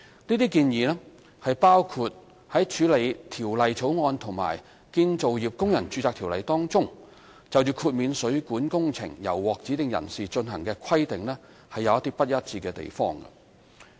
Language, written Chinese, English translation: Cantonese, 這些建議包括處理《條例草案》和《建造業工人註冊條例》當中，就豁免水管工程由獲指定人士進行的規定有不一致的地方。, We agreed to adopt such relevant proposals which include addressing the inconsistencies between the Bill and the Construction Workers Registration Ordinance regarding the exemption from complying with the requirement that plumbing works are to be carried out by designated persons